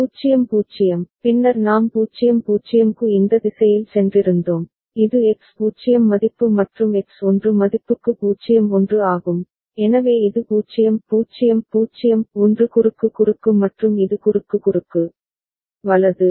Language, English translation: Tamil, 0 0, then we had gone in this direction for 0 0, this was the 0 1 for x 0 value and x 1 value, so this is 0 0 0 1 cross cross and this is cross cross, right